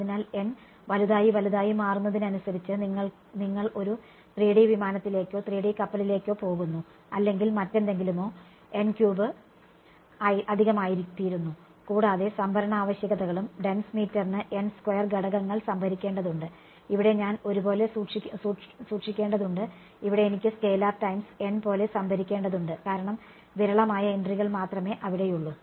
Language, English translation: Malayalam, So, as n becomes larger and larger you are going to a 3 D aircraft or 3 D ship or whatever n cube just becomes too much and the storage requirements also dense meter it has to store n squared elements, here I have to store like a scalar times n because only sparse entries are there right